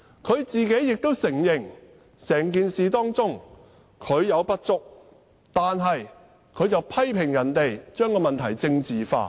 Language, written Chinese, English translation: Cantonese, 她亦承認自己在整件事中有不足，但她卻批評別人把問題政治化。, She actually admitted that she had inadequacy in the handling of the incident but she also criticized others for making the issue political